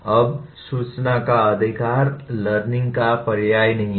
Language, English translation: Hindi, Now, possession of information is not synonymous with learning